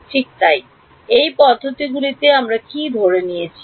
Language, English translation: Bengali, Right so, in these methods what did we assume